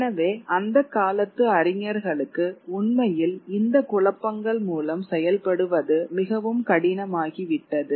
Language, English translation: Tamil, So it became very very difficult for for the scholars of that period to actually work through these confusions